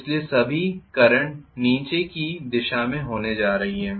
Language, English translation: Hindi, So I am going to have all the current in downward direction